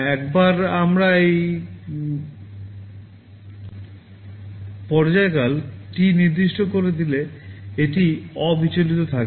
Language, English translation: Bengali, Once we specify this time period T, this will be kept constant